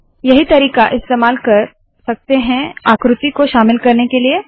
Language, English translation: Hindi, alright So this is the way to include figures